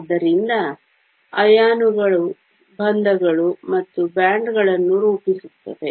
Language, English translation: Kannada, So, it is the ions that are forming the bonds and the bands